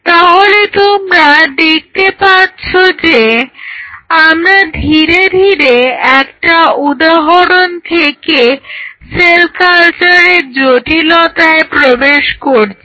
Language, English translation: Bengali, So, you see now slowly we are moving with one example we are moving to the complexity of cell culture